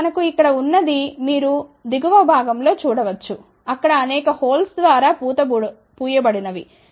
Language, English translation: Telugu, Now, what we have here you can see at the bottom side there are several plated through holes ok